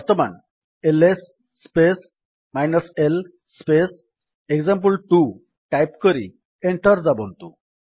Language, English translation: Odia, Now type: $ ls space l space example1 and press Enter